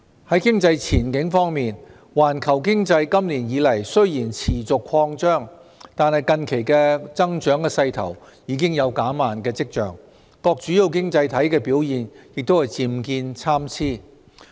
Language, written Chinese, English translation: Cantonese, 在經濟前景方面，環球經濟今年以來雖然持續擴張，但近期的增長勢頭已有減慢的跡象，各主要經濟體的表現也漸見參差。, Regarding the economic outlook despite the continuous expansion of the global economy this year the momentum has recently shown signs of slowing down . Various major economies have gradually shown mixed performance